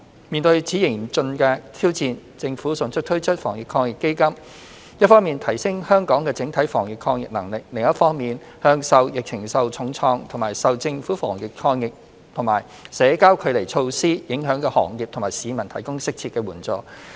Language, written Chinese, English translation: Cantonese, 面對此嚴峻的挑戰，政府迅速推出防疫抗疫基金，一方面提升香港的整體防疫抗疫能力，另一方面向受疫情重創或受政府防疫抗疫和社交距離措施影響的行業和市民提供適切的援助。, In view of these challenges the Government has expeditiously introduced the Anti - epidemic Fund AEF to enhance our overall anti - epidemic capability and provide suitable relief to sectors and individuals hard hit by the epidemic or affected by the Governments anti - epidemic and social distancing measures